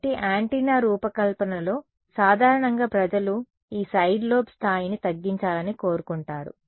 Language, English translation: Telugu, So, in antenna design typically people want to reduce this side lobe level